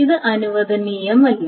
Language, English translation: Malayalam, So, this is not allowed